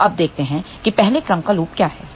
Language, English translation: Hindi, So, now, let us see what are the first order loops ok